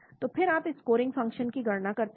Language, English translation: Hindi, So then you calculate a scoring function